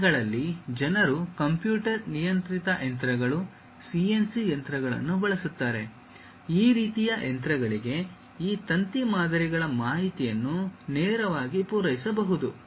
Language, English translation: Kannada, Even these days people use computer controlled machines, CNC machines; this kind of machines for which one can straight away supply this wire models information